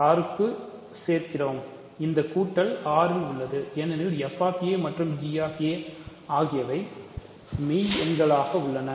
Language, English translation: Tamil, Remember here we are adding inside R, this addition is in R, because f of a and g of a are in real numbers